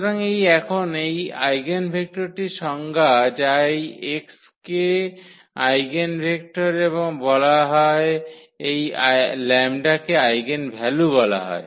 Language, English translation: Bengali, So, that is the definition now of this eigenvector this x is called the eigenvector and this lambda is called the eigenvalue